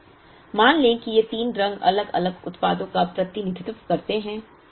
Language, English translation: Hindi, Let us assume these three colors represent three distinct products